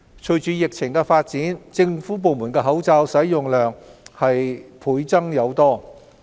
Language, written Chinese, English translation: Cantonese, 隨着疫情發展，政府部門的口罩使用量倍增。, In light of the development concerning the disease the amount of masks used by government departments has multiplied